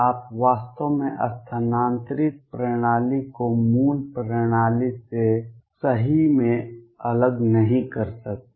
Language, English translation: Hindi, You cannot really distinguish the shifted system from the original system right